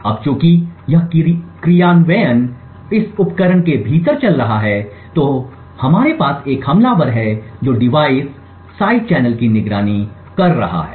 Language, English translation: Hindi, Now as this implementation is executing within this device we have an attacker who is monitoring the device side channel